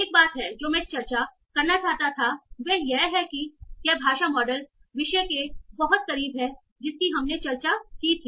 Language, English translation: Hindi, Now, so there is one thing that I want to discuss is that how this is very close to the language model topic that we had discussed